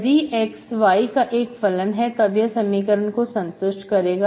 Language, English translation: Hindi, If it is only function of x, then I solve this equation, I get this form